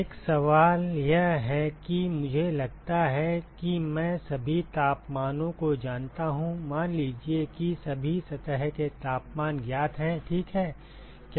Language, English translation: Hindi, The question one is suppose I know all the temperatures suppose all surface temperatures are known, ok